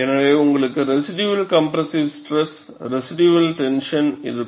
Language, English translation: Tamil, So, you will have a residual compressive stress and a residual tension